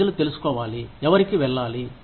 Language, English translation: Telugu, People should know, who to, go to